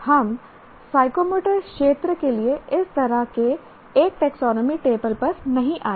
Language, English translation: Hindi, We haven't come across such a taxonomy table for psychomotor domain